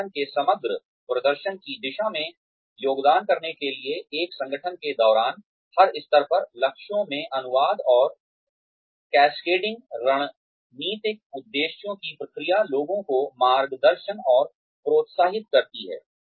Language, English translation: Hindi, Process of translating and cascading strategic aims, into goals at every level, throughout an organization, guides and encourages people, to contribute towards the overall performance of the organization